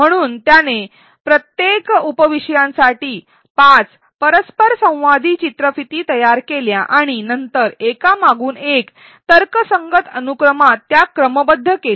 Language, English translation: Marathi, So, he created 5 interactive videos for each of the sub topics and then sequenced it one after the other in some logical sequence